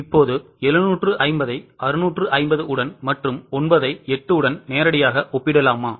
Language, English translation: Tamil, Now, can we directly compare 750 with 650 and 9 with 8